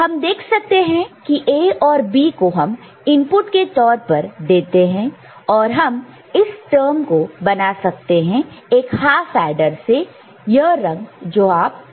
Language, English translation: Hindi, So, we can see A and B are given as input, we can generate this term from one half adder this color you can see, this colour right